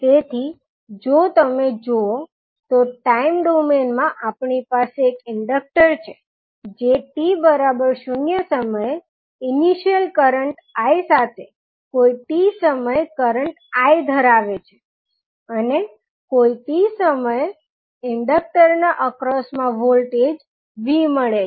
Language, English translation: Gujarati, So, if you see in time domain we have a inductor which is carrying some current I at any time t with initial current as i at 0 and voltage across inductor is v at any time t